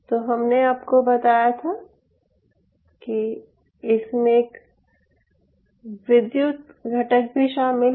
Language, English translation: Hindi, having said this, i told you that there is an electrical component involved in it